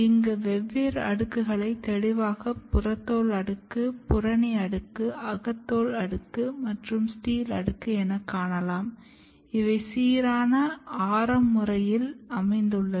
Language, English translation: Tamil, And then these different layers you can see clearly epidermis layer, cortex layer and endodermis layer and stele layers they are arranged in a radial manner